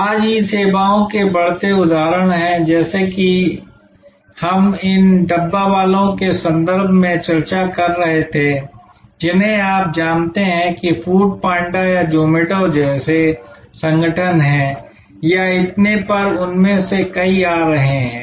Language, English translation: Hindi, Today there are rising examples of E services like as we were discussing in the context of the dabbawalas you know organizations like food panda or zomato or and so on so many of them are coming up